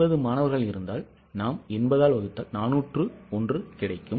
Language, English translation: Tamil, So, for 80 students, it's 401